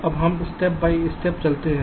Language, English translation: Hindi, ok, now let us moves step by step